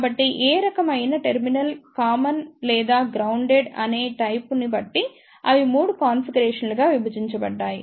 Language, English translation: Telugu, So, depending upon the type that which type of terminal is made common or grounded, they are divided into 3 configurations